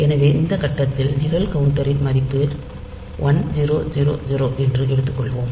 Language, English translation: Tamil, So, these the program counter value at this point suppose at this point the program counter value is say 1000